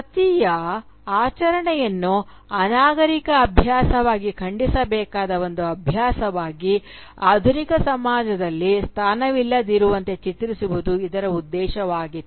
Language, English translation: Kannada, The ulterior motive was to portray the ritual of Sati as a barbaric practice, as a practice which needs to be condemned, which does not have a place within the modern society